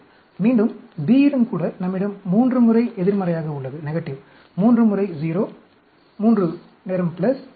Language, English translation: Tamil, Again, B also, we have 3 times at negative, 3 times at 0, 3 time at plus, plus